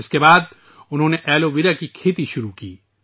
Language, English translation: Urdu, After this they started cultivating aloe vera